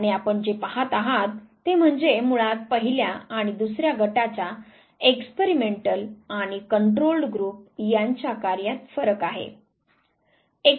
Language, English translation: Marathi, And what you see is basically the difference in the performance of the first and the second group the experimental and the control group